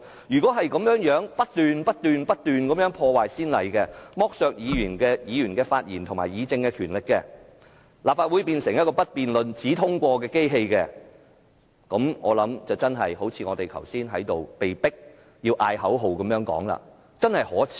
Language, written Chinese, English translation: Cantonese, 如果再這樣不斷破壞先例，剝削議員的發言和議政權力，立法會變成一個不辯論、只通過的機器，那麼便好像我們剛才被迫喊出的口號一樣，真可耻！, If we keep breaking established rules like this and depriving Members of their power to speak on and discuss the Governments proposals the Legislative Council will turn into a machine which endorses the Governments proposals only without any debate . As suggested by the slogan we were forced to chant earlier this is really shameful!